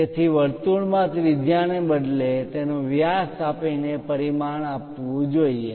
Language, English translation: Gujarati, So, a circle should be dimension by giving its diameter instead of radius is must